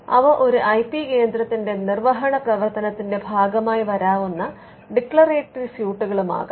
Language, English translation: Malayalam, They could also be declaratory suits which can come as a part of the enforcement function of an IP centre